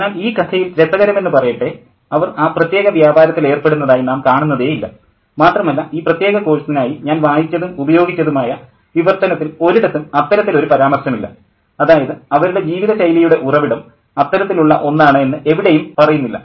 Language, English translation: Malayalam, But interestingly, in this story we don't see them engage in that particular trade per se, and there's no mention anywhere in the translation that I've read and used for this particular course, to suggest that that's how they source their lifestyle